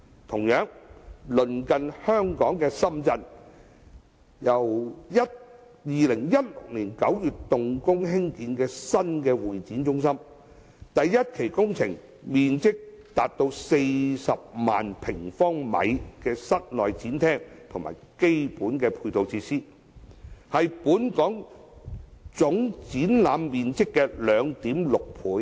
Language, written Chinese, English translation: Cantonese, 同樣，鄰近香港的深圳，於2016年9月動工興建新的會展中心，第一期工程包括面積達40萬平方米的室內展廳及基本配套設施，是本港總展覽面積的 2.6 倍。, Also our neighbour Shenzhen commenced the construction of a new CE centre in September 2016 the first phase of which includes an indoor exhibition hall of 400 000 sq m and other ancillary facilities . Its exhibition area is 2.6 times the total exhibition area in Hong Kong